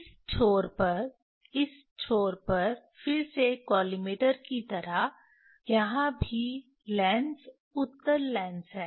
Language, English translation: Hindi, at this end at this end again like collimator, here also there is lens, convex lens